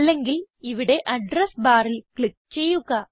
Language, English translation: Malayalam, Or you can click here on the address bar